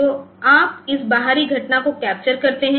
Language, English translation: Hindi, So, you can capture this external event